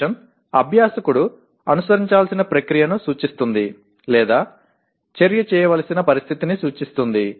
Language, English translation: Telugu, Condition represents the process the learner is expected to follow or the condition under which to perform the action